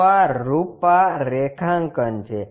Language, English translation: Gujarati, So, this is the configuration